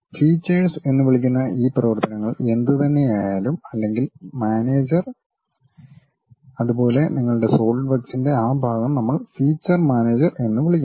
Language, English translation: Malayalam, Whatever these operations we are doing features we call and that manager or that portion of your Solidworks we call feature manager